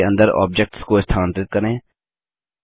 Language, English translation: Hindi, Only the objects within the group can be edited